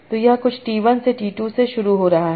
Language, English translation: Hindi, So it's starting from some T1 to T2